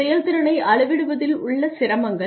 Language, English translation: Tamil, Difficulties in measuring performance